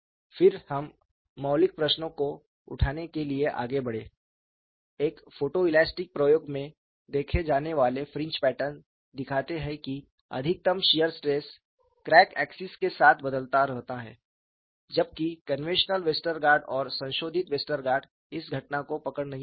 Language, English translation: Hindi, Then we moved on to raising the fundamental question, the fringe patterns that has seen in a photoelastic experiment show that maximum shear stress varies along the crack axis, whereas the conventional Westergaard and modified Westergaard do not capture this phenomena